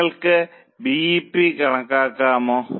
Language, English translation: Malayalam, Can you calculate BEP